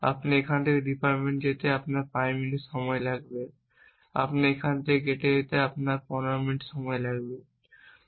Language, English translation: Bengali, You go from here to the department it will take you 5 minutes you will go from here to the gate it may take you 15 minutes